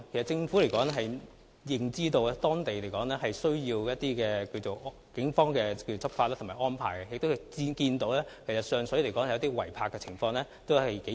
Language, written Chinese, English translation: Cantonese, 政府其實知悉北區需要警方採取執法行動及作出安排，也看到上水出現嚴重的違例泊車問題。, The Government is aware of the need for the Police to take law enforcement actions and make arrangements in the North District . We also note the serious illegal parking problems in Sheung Shui